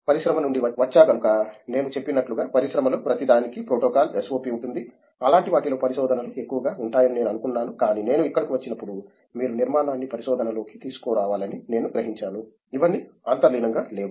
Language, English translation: Telugu, Coming from industry, in industry everything as I said protocol there is SOP for everything, I thought research would be more on those lines something like that, but when I came here I realized that you have to bring the structure into the research it’s not all inherent